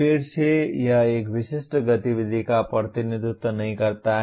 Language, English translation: Hindi, Again, it does not represent a specific activity